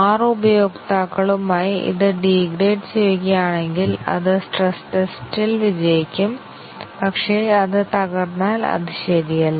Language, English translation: Malayalam, If it gracefully degrades with 6 users then it is ok, it passes the stress test; but if it crashes then it is not correct